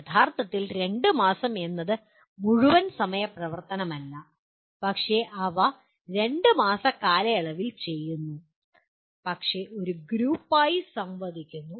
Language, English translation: Malayalam, 2 months in the sense not full time activity but they do over a period of 2 months but as a group interacting